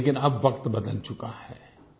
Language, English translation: Hindi, But now times have changed